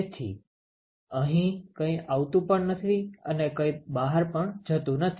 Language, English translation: Gujarati, So, nothing comes here and nothing goes out ok